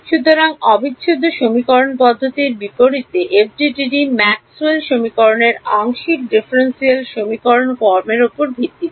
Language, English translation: Bengali, So, unlike the integral equation methods the FDTD is based on the partial differential equation form of Maxwell’s equations ok